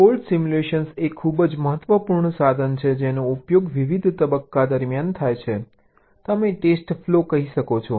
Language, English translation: Gujarati, fault simulation is an very important tool which is used in various stages during the you can say test flow